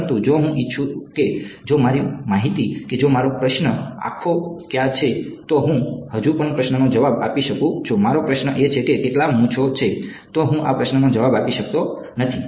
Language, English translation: Gujarati, But, if I wanted to if my information that if my question was where are the eyes I can still answer the question if my question is how many whiskers are there, I cannot answer this question right